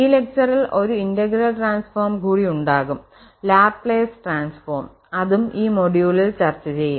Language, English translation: Malayalam, There will be one more integral transform, the Laplace transform will be discussing in this lecture in this module